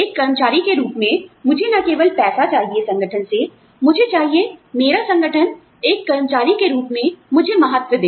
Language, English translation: Hindi, As an employee, I do not only want money, from the organization, I want my organization, to value me, as an employee